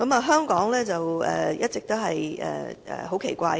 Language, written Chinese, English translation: Cantonese, 香港是一個很奇怪的地方。, Hong Kong is a very strange place